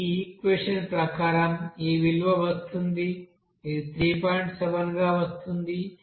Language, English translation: Telugu, So we are getting from this equation it is coming 3